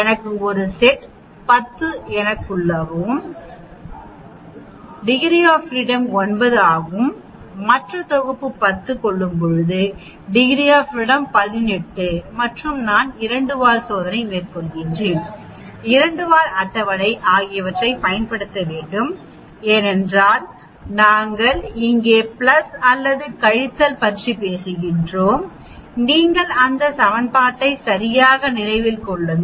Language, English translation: Tamil, I have 1 set is 10, I have 9 degrees of freedom other set is 10, I have 9 degrees of freedom now I 18 degrees of freedom and I need to use 2 tail test, 2 tail table because we are talking about plus or minus here, you remember these equation right mu equal to x bar plus or minus t d f is by square root of n